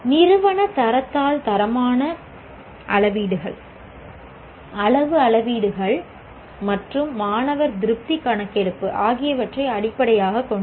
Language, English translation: Tamil, The institutional grade sheet is based on qualitative metrics, quantitative metrics, and the student satisfaction survey